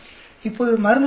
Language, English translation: Tamil, Now drug average